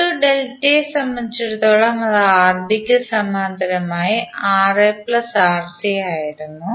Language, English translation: Malayalam, And for R1 2 delta, that was Rb in parallel with Ra plus Rc